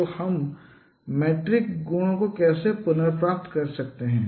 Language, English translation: Hindi, So how we can recover the metric properties